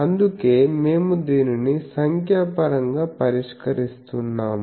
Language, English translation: Telugu, That is why we are solving this numerically